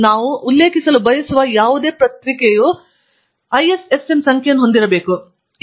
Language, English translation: Kannada, Similarly, any journal that we want to refer to should have an ISSN number